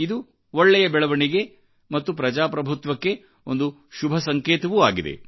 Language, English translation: Kannada, This is a good development and a healthy sign for our democracy